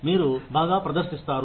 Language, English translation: Telugu, You perform well